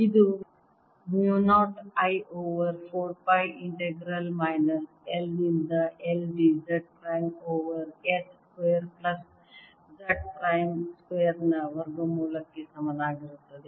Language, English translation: Kannada, this is going to be equal to mu naught i over four pi integral minus l to l d z prime over square root of s square plus z prime square